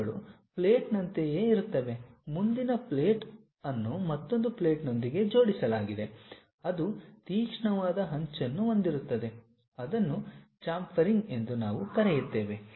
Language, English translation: Kannada, These are something like a plate, next plate attached with another plate that kind of sharp cuts if we have it on that we call chamfering